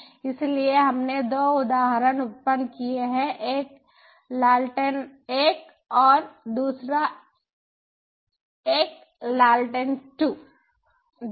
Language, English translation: Hindi, so we have generated two instances: one is the lantern one and then another is a lantern two